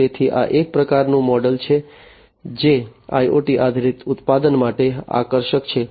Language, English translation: Gujarati, So, this is a type of model that is attractive for IoT based products